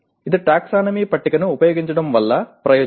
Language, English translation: Telugu, That is the advantage of using a taxonomy table